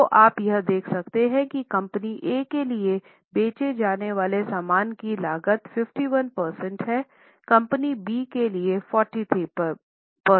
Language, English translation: Hindi, So, you can understand see here this part is cost of goods sold for company A is 51% for company B is 43%